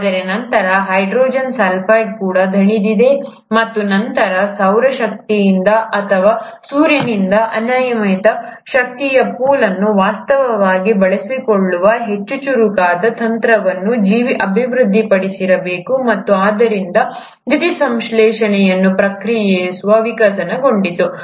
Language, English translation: Kannada, But then even hydrogen sulphide would have got exhausted and then, the organism must have developed a much smarter strategy of actually utilizing the unlimited pool of energy from solar energy or from the sun and hence the process of photosynthesis evolved